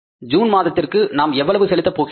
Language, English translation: Tamil, How much is that in the month of June we are going to pay